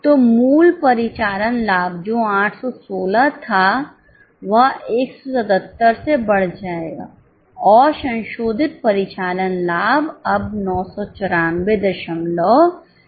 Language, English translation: Hindi, So, the original operating profit which was 816 will increase by 177 and the revised operating profit is now 994